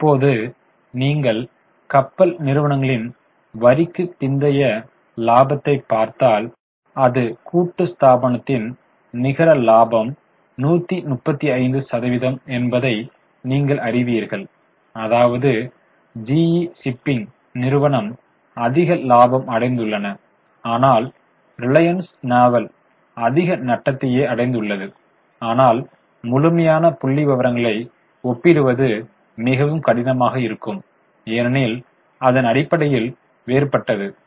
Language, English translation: Tamil, If you look at their profits, profit after tax, you will see that the reported net profit of shipping companies or shipping corporation is only 135 versus relatively much higher profits for G shipping whereas Reliance Naval has a huge loss but absolute figures are difficult to compare because the base is different